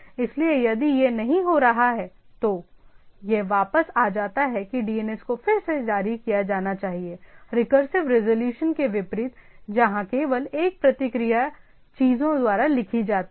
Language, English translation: Hindi, So, if it is not having, it returns that where DNS to be queried, unlike recursive resolution here where only one response is the finally written by the things